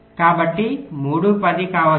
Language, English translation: Telugu, so so three, yeah, may be ten